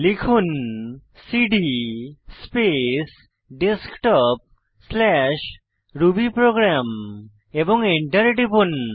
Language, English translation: Bengali, So lets type cd space Desktop/rubyprogram and press Enter